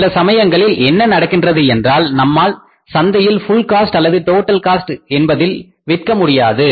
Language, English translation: Tamil, Now, sometime what happens that we are not able to sell the product in the market at the full cost or at the total cost